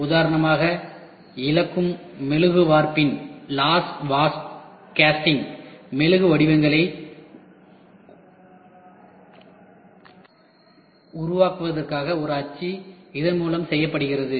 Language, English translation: Tamil, As an example a mold for making wax patterns of lost wax casting is done through this